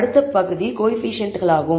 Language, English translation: Tamil, So, the next section is coefficients